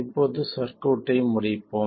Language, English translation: Tamil, This is the complete circuit